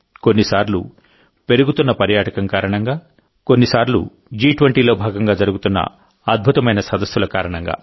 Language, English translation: Telugu, Sometimes due to rising tourism, at times due to the spectacular events of G20